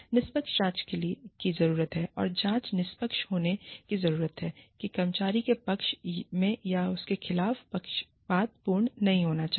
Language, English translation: Hindi, Fair investigation needs to be conducted, and the investigation needs to be impartial, it should not be biased, in favor of, or against the employee